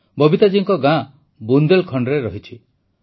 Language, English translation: Odia, Babita ji's village is in Bundelkhand